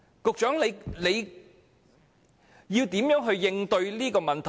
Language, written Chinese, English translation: Cantonese, 局長，你會如何應對這個問題？, Secretary what would you do to address this issue?